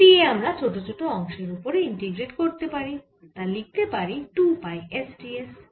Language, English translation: Bengali, and the integration these d d a is we can integrate over this small parts which we can write like two pi s by s